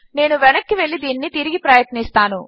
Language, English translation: Telugu, So, let me go back and try this again